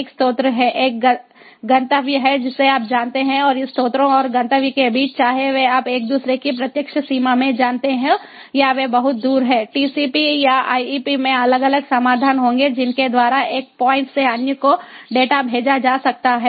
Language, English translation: Hindi, there is a source, there is a destination, you know, and between these source and destination, whether they are, you know, in direct range of each other or they are far apart, tcp ip will have different solutions by which to send the data from one point to another